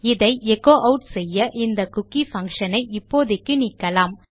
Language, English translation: Tamil, So if I echo this out and get rid of this cookie function for now